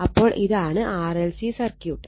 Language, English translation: Malayalam, So, this is a simple series RLC circuit